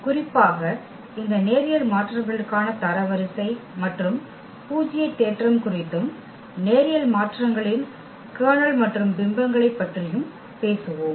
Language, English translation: Tamil, And in particular we will also talk about the rank and nullity theorem for these linear transformations and also the kernel and image of linear transformations